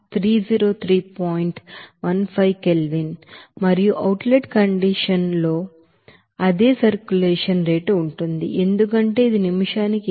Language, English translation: Telugu, 15 K and in the outlet condition that the same circulation rate is there since it will be of 18